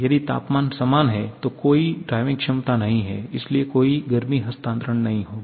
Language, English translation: Hindi, If the temperatures are same, there is no driving potential so there will be no heat transfer